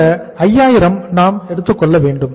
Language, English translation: Tamil, So this is 5000 we have taken 5000